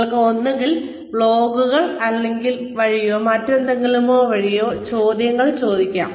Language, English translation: Malayalam, You could ask questions, either via blogs, or, whatever, etcetera